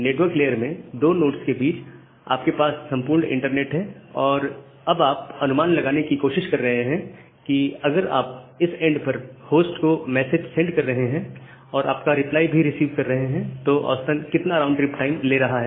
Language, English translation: Hindi, But in case of your network layer, in between the two nodes you have this entire internet and then and another node and then you are trying to estimate that, if you are sending a message to this end host and receiving back a reply what is the average round trip time it is taking